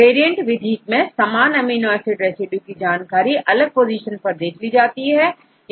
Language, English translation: Hindi, In the case of variants based method, it gets the information for the same amino acid residues at different positions